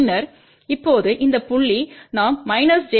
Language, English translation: Tamil, And then now at this point we have to add minus j 1